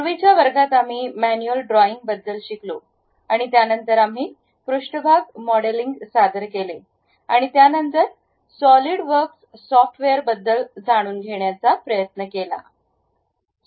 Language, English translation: Marathi, In the earlier classes, we learned about manual drawing and after that we have introduced surface modeling then went try to learn about Solidworks software